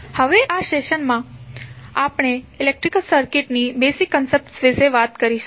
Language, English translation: Gujarati, Now, in this session we will talk more about the basic concepts of electric circuits